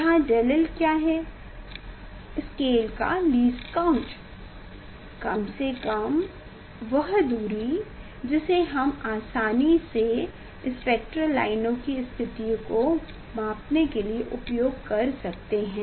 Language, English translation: Hindi, here what about del l that is the least count of the of the scale we are easily using for the for the measuring the position of the spectral lines